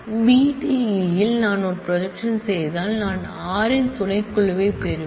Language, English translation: Tamil, I will get a subset of r if I do a projection on B D E I will get a subset of s